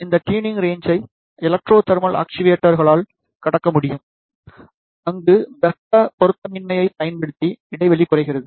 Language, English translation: Tamil, This tuning limit can be overcome by the electro thermal actuators, where the gap is reduced using the thermal mismatch